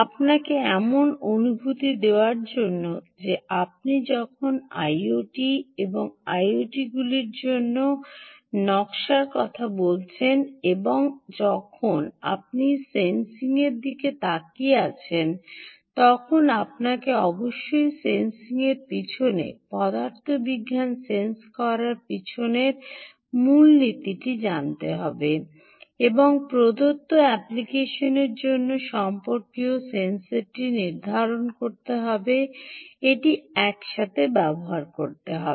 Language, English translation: Bengali, to give you a feel that when you talk about i o t and design for i o ts and you are looking at sensing, you must know the principle behind sensing, the physics behind the sensing, and use this together to determine the kind of sensor required for a given application